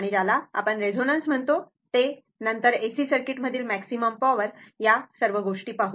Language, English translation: Marathi, And what you call that your resonance then, your maximum power transfer in AC circuit; those things